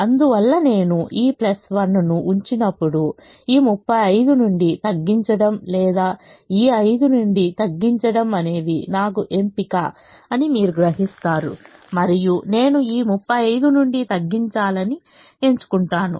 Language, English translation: Telugu, therefore, when i put this plus one, you would realize that i had a choice of either reducing from this thirty five or reducing from this five